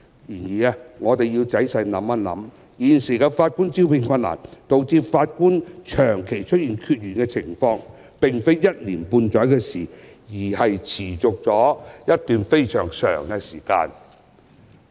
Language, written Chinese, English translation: Cantonese, 然而，我們只要仔細想想，便會意識到現時的法官招聘困難，導致法官長期出現缺員的情況，並非一年半載的事情，而是持續了一段非常長的時間。, However we ought to think carefully to realize the present difficulty in the recruitment of Judges which has caused prolonged understaffing of Judges did not occur just in the past year or so but has persisted for a very long time